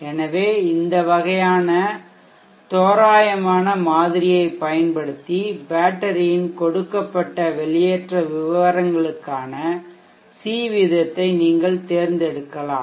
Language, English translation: Tamil, So using this kind of approximate model you can select the c rate for the battery given discharge profiles